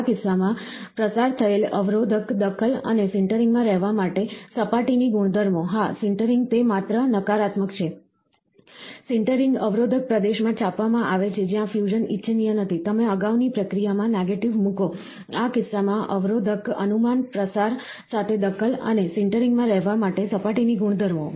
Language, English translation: Gujarati, In this case, the inhibitor interference with diffusion, and the surface properties to inhabit sintering, yes, sintering it is just a negative, a sintering inhibitor is printed in the region, where fusion is not desirable, you put a negative to the previous process, in this case, the inhibitor inference, interferences with diffusion and the surface properties to inhabit sintering